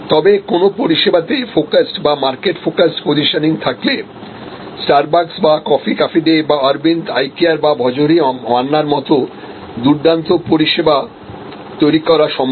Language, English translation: Bengali, But, in a service focused or market focused positioning, it is possible to create great service like Starbucks or coffee cafe day or Arvind Eye Care or Bhojohori Manna and so on